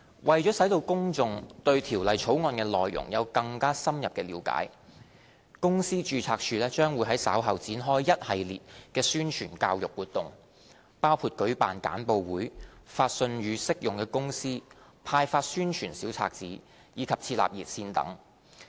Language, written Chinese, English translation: Cantonese, 為使公眾對《條例草案》的內容有更深入了解，公司註冊處將會在稍後開展一系列的宣傳教育活動，包括舉辦簡報會、發信予適用公司、派發宣傳小冊子，以及設立熱線等。, To enable the public to better understand the contents of the Bill the Companies Registry will soon commence a series of promotional and educational activities including holding briefings sending letters to applicable companies distributing promotional leaflets and setting up a hotline